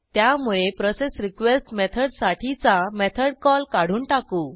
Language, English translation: Marathi, So,remove the method call for processRequest method